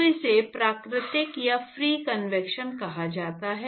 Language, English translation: Hindi, So, that is what is called natural or free convection